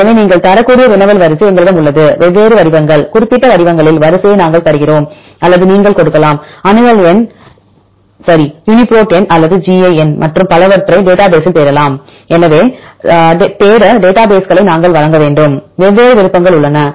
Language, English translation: Tamil, So, we have the query sequence you can given different formats, either we give the sequence in specific formats or you can give accession number right Uniprot number or gi number and so on then the searchable database